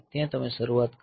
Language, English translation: Gujarati, So, there you put the start